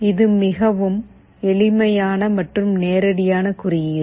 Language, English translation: Tamil, This is the code that is fairly simple and straightforward